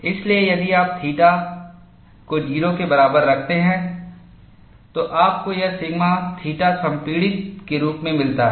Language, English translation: Hindi, So, if you put theta equal to 0, you get this sigma theta theta as compressive